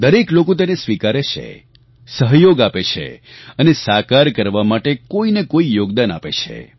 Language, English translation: Gujarati, Everyone accepts this, cooperates in this and makes a contribution in realizing this